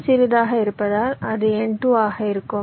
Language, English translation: Tamil, since n two is smaller, it will be n two